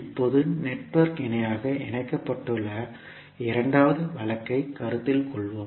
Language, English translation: Tamil, Now, let us consider the second case in which the network is connected in parallel